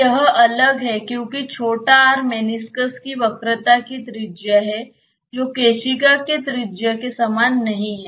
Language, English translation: Hindi, So, this is different because the small r is the radius of curvature of the meniscus which is not same as the radius of the capillary